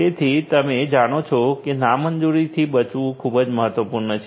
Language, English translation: Gujarati, So, you know preventing from repudiation is very important